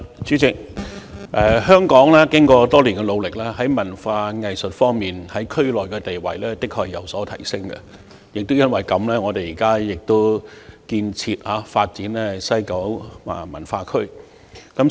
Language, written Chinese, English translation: Cantonese, 主席，經過多年努力，在文化藝術方面，香港在區內的地位的確有所提升，亦正正因為這個原因，本港現時亦致力建設及發展西九文化區。, President thanks to the efforts over the years Hong Kongs status in the field of culture and the arts has risen in the region . It is precisely for this reason that Hong Kong is currently committed to the construction and development of the West Kowloon Cultural District